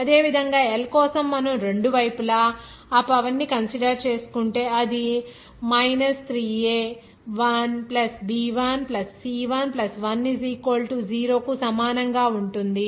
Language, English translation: Telugu, Similarly for L if you consider that power on both sides then it will be as 0 equal to 3a 1 + b1 +c 1 + 1